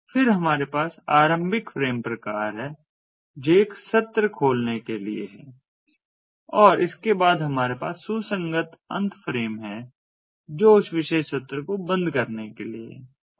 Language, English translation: Hindi, then we have the begin frame type, which is for opening a session, and correspondingly we have the end, which is for closing that particular session